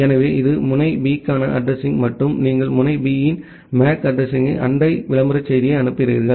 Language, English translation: Tamil, So, this is the address for node B and you send the MAC address of node B the neighbor advertisement message